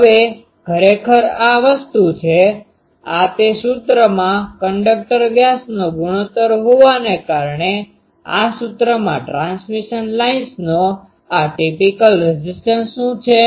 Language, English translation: Gujarati, Now, actually this thing, actually this by having the ratio of this conductor diameters to actually that formula that this formula what is this characteristic impedance of the transmission lines